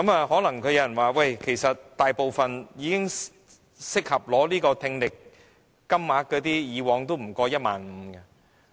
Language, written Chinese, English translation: Cantonese, 可能有人說，大部分已適合獲取聽力補償的金額以往都不超過 15,000 元。, Perhaps some may say that according to past records the amounts which were suitable for the grant of subsidy for hearing loss were mostly below 15,000